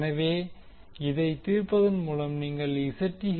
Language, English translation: Tamil, So by solving this you will get the value of Zth